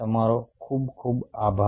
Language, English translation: Gujarati, ok, thanks a lot